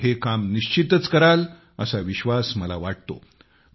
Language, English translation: Marathi, I am sure that you folks will definitely do this work